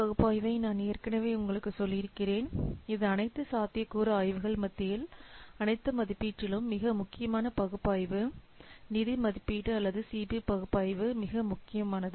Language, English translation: Tamil, Then as I have already told you CB analysis that is the most important analysis among all the assessment, among all the feasibility studies, financial assessment or CB analysis is the most important